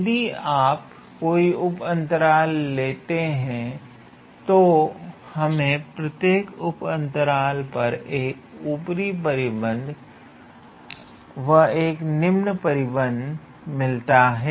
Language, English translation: Hindi, However, if you consider these sub intervals, then on each of these sub intervals you have an upper bound and then you have a lower bound